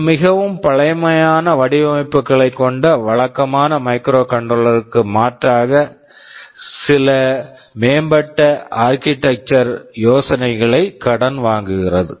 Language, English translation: Tamil, It borrows some advanced architectural ideas in contrast to conventional or contemporary microcontrollers that had very primitive kind of designs